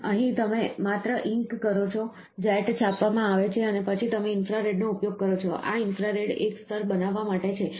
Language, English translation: Gujarati, So, here you just ink, the jet is printed, and then you use infrared so, this infrared is to create a layer